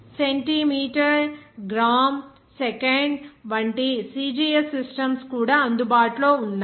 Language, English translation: Telugu, Other systems also available like centimeter – gram – second which is CGS system